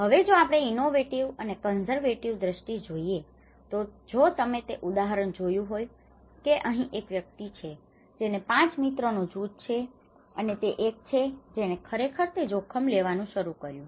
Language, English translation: Gujarati, Now, if we take the perception of the most innovative and the conservative, if you see an example now, here a person A who have a group of 5 friends and he is the one who have actually taken the risk of starting it